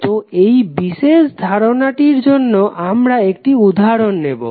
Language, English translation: Bengali, So, this particular aspect we will discuss with one example